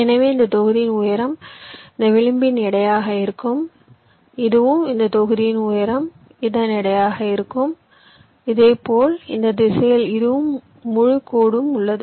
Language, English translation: Tamil, so the height of this block will be the weight of this edge, this and this, the height of the, this block will be the weight of this